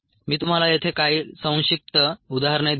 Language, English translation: Marathi, i will give you some brief representations here